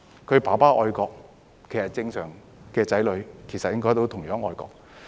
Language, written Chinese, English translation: Cantonese, 若父親愛國，正常的子女也應該同樣愛國。, If a father is patriotic his children should also be likewise patriotic under normal circumstances